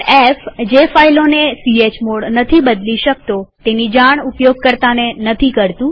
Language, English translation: Gujarati, f#160: Do not notify user of files that chmod cannot change